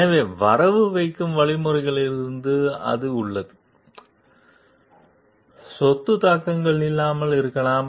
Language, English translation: Tamil, So, from crediting mechanisms, that has; may have no property implications